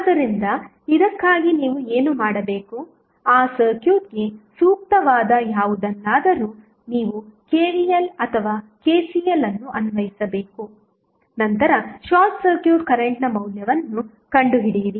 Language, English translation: Kannada, So, for this what you have to do, you have to just apply either KVL or KCL whatever is appropriate for that circuit, then find the value of short circuit current